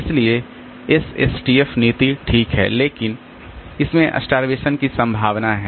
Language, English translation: Hindi, So, SSTF policy is fine but it has got the potential for starvation